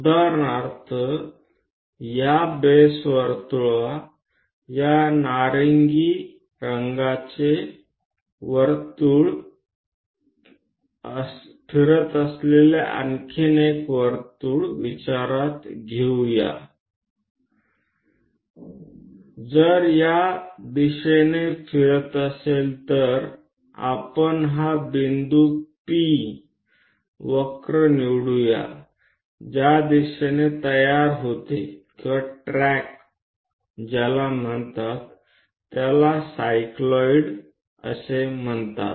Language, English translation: Marathi, For example, on this base circle let us consider one more circle this orange one is rolling if this one is rolling in this direction let us pick this point the point P the curve in which direction it forms or tracks that is called we call cycloid